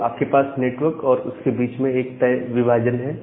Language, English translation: Hindi, So, you have a fixed division between the network and the host